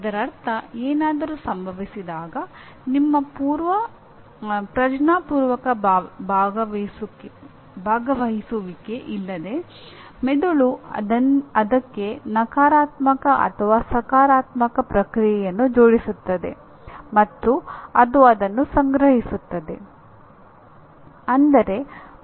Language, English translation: Kannada, That means when something happens the brain without your conscious participation will attach a negative or a positive reaction to that and it stores that